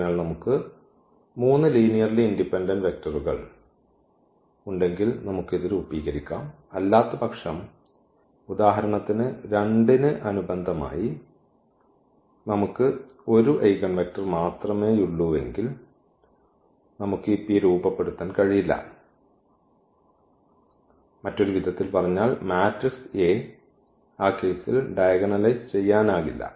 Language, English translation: Malayalam, So, if we have 3 linearly independent vectors we can form this P otherwise for example, corresponding to 2 if it happens that we have only 1 eigenvector then we cannot form this P in other words the matrix A is not diagonalizable in that case